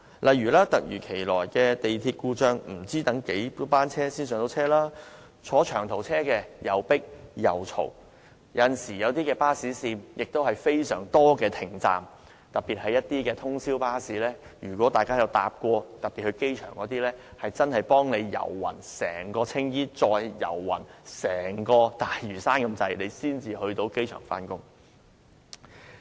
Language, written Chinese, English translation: Cantonese, 例如，突如其來的港鐵故障，市民不知道要等候多少班車才能上車；坐長途車則吵鬧擠迫；而某些巴士線則沿途有很多停車站，特別是通宵巴士，而如果大家曾乘搭機場巴士，真會幾乎走遍整個青衣及大嶼山才能到達機場目的地。, Any sudden breakdowns in MTR services will mean an uncertain waiting time for the people before the service resumes . Long - haul passengers have to travel in packed and noisy compartments and certain bus routes have many stops especially overnight routes . If Members have taken the airport bus before they will know that passengers will only arrive the airport after the bus have travelled around the whole Tsing Yi and Lantau